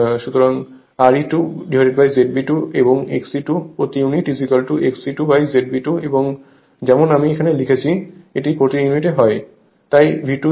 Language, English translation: Bengali, So, R e 2 upon Z B 2 and X e 2 per unit is X e 2 per unit is equal to X e 2 upon Z B 2 and as I written here it is per unit